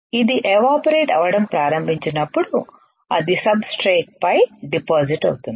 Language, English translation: Telugu, When it starts evaporating, it will get deposited onto the substrates